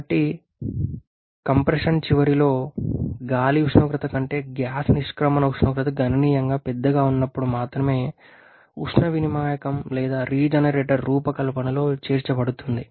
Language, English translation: Telugu, So, the heat exchange and regenerator can be included in the design only when the gas exit temperature is significantly larger than the air temperature at the end of compression